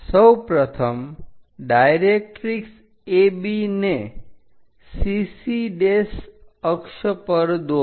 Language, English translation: Gujarati, First, draw directrix AB on axis CC prime